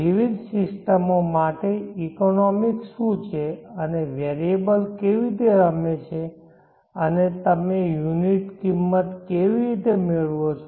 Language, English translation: Gujarati, What are the economics for the various systems and how do the variables play and how do you obtain the unit cause